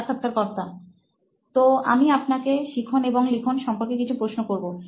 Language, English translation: Bengali, So I would like to ask a few questions related to learning and writing